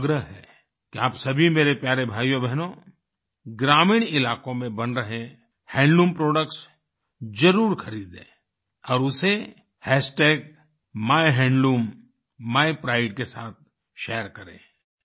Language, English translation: Hindi, I urge you my dear brothers and sisters, to make it a point to definitely buy Handloom products being made in rural areas and share it on MyHandloomMyPride